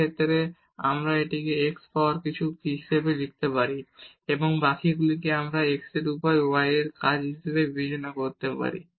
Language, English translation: Bengali, In this case also we can write down this as x power something and the rest we can consider as the function of y over x